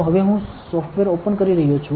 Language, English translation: Gujarati, So, now I am opening the software